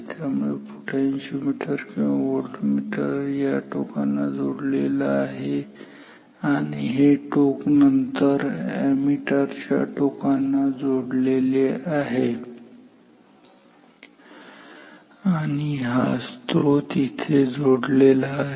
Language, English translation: Marathi, So, the terminals of the potentiometer or voltmeter is connected to this lid and this lid then the ammeter terminals are also connected to this lid and this supply is here